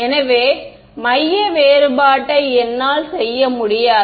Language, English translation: Tamil, So, I cannot do centre difference